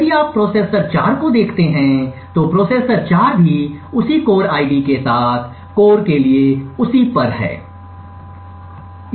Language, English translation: Hindi, Now if you look at the processor 4 so processor 4 is also on the same for core with the same core ID